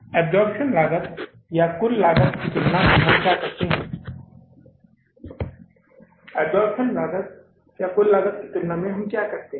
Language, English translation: Hindi, In that absorption costing or the total costing what we do